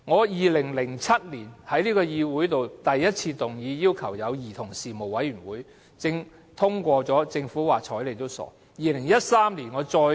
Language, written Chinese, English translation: Cantonese, 2007年，我第一次在議會動議要求成立兒童事務委員會，議案獲得通過，但政府就是懶得理。, In 2007 I moved a motion urging for the establishment of a commission for children for the first time in this Council . The motion was passed but the Government simply ignored it